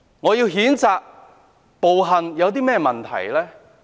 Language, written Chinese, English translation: Cantonese, 我譴責暴行，有甚麼問題呢？, I condemn violence . What is wrong with that?